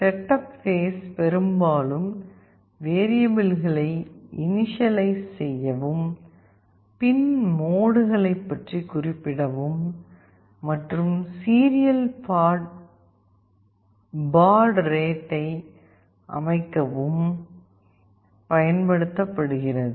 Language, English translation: Tamil, The setup section is widely used to initialize the variables, mention about the pin modes and set the serial baud rate etc